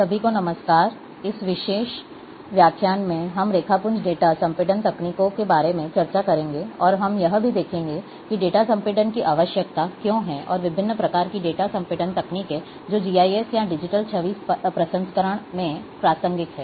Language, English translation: Hindi, Hello everyone, In this particular lecture, we will be discussing about Raster data compression techniques, and we will be also seeing that, why data compression is required and various types of data compression techniques, which are relevant in GIS or in digital image processing